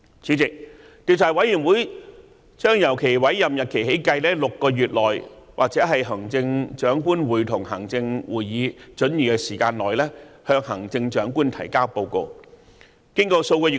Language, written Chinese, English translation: Cantonese, 主席，調查委員會將由其委任日期起計6個月內或行政長官會同行政會議准許的時間內，向行政長官提交報告。, President the Commission will report to the Chief Executive within six months from the date of its appointment or such time as the Chief Executive in Council may allow